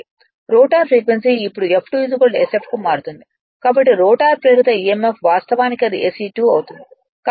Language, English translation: Telugu, The rotor frequency now changes to your F2 is equal to sf therefore, the rotor induced emf actually will be it will be SE 2 right